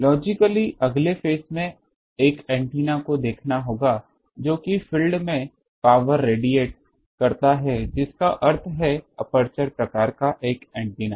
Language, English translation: Hindi, The logical next step would be to see an antenna which by area radiates power that means an aperture type of antenna